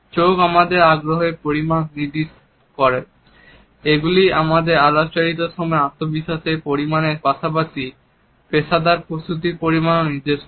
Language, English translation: Bengali, Eyes indicate the level of our interest; they also indicate the level of our confidence as well as the level of professional preparation during our interaction